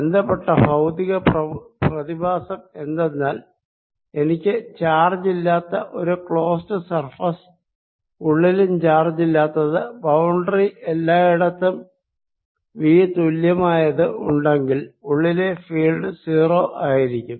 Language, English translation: Malayalam, related physical phenomena is that if i have a close surface with no charge, no charge inside and v same throughout the boundary, then field inside is equal to zero